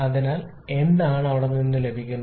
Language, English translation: Malayalam, So what we are getting from there